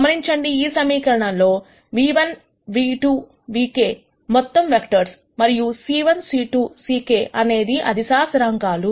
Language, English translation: Telugu, Notice in this equation nu 1 nu 2 nu k are all vectors, and c 1 c 2 c k are scalar constants